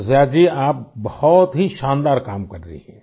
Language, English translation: Hindi, Shirisha ji you are doing a wonderful work